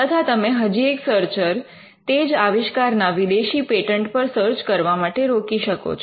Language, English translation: Gujarati, And you could also have another part searcher looking at a foreign patent for the same invention